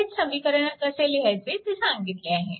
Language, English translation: Marathi, So, this way you can write all this equation